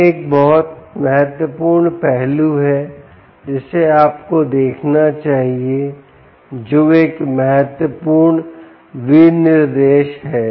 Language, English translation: Hindi, ok, this is an important aspect which you should look for, which is an important specification you should look for